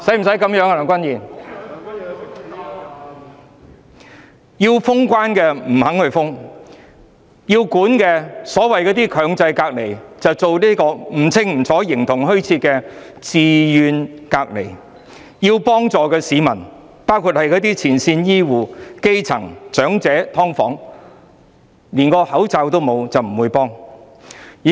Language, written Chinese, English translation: Cantonese, 市民要求封關，政府不同意；所謂的"強制隔離"，規定模糊不清，變成形同虛設的"自願隔離"；要幫助的市民，包括前線醫護人員、基層市民、長者、"劏房戶"，他們連口罩都沒有，得不到適當幫助。, The Government has rejected the peoples demand for border closure . The so - called mandatory isolation is a sham as it has now become voluntary isolation due to unclear requirements . Members of the public who are in need of help including frontline health care workers grass - roots people elderly people and residents of sub - divided units do not even have face masks and have not received proper assistance